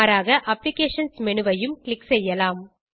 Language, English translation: Tamil, Alternately, click on Applications menu